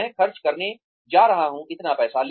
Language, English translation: Hindi, I am going to spend, so much money